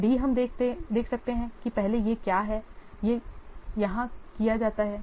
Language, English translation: Hindi, Then D, you can see that first D is what it is performed here